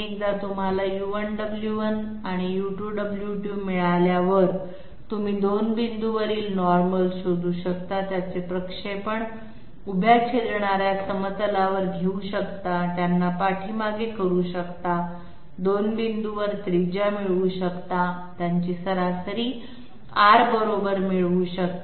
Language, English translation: Marathi, Once you get U1, W1 and U2, W2, you can find out the normals at the 2 points, take their projections on the vertical intersecting plane, producing them backwards, get radii at the 2 points, get their mean equal to R with the values of say form tolerance 50 microns and the radius R